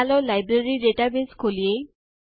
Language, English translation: Gujarati, Lets open the Library database